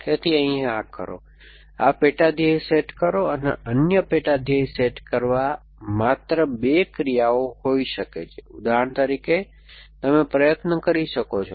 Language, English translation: Gujarati, So, do this, of course it, let it do some it try this sub goal set another sub goal set could be just 2 actions, for example you can see that that it may try